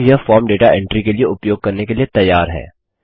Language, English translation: Hindi, Now this form is ready to use for data entry